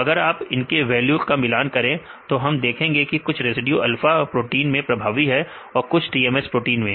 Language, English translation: Hindi, If you compare the values we can see some residues are dominant in the alpha proteins and some of them in the TMS proteins